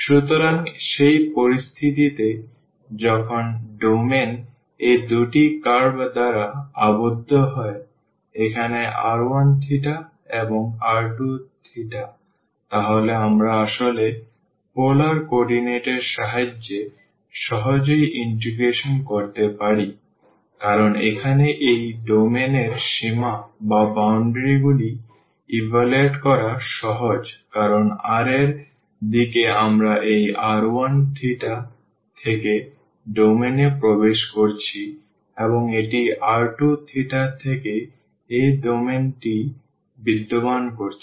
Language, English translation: Bengali, So, in that situation, whenever domain is bounded by these two curves here r 1 theta and r 2 theta, then we can actually do the integration easily with the help of the polar coordinates, because the limits for this domain here r easy to evaluate because in the direction of r here entering the domain from this r 1 theta and it existing this domain from r 2 theta